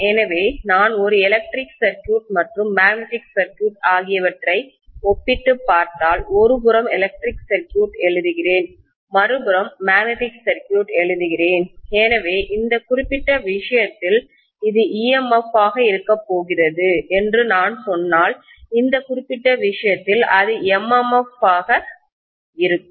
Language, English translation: Tamil, So if I compare an electric circuit and magnetic circuit, I should say on the one side let me write electric circuit, on the other side, let me write magnetic circuit, so if I say that in this particular case, this is going to be EMF, in this particular case, it is going to be MMF